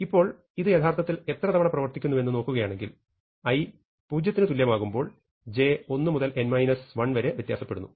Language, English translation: Malayalam, So, now if I look at the number of times this actually executes, then when i is equal to 0, j varies from 1 to n minus 1